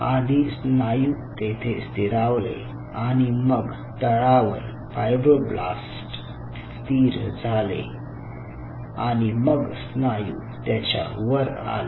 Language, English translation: Marathi, we just allow the muscle to sit there and the fibroblasts kind of settle down and the muscle cells were in the top